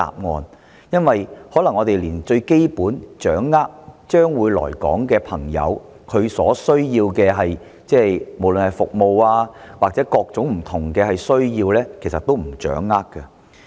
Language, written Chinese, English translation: Cantonese, 我們卻可能連最基本的資訊，即將會來港的人士所需要的——不論是服務或各種不同需要——也未能掌握得到。, We may not be able to grasp even the most basic information about the needs of those who are coming to Hong Kong whether related to services or other types of needs